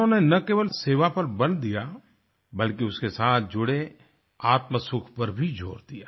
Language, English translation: Hindi, He emphasized not only on the spirit of service, but also on the inner happiness it led to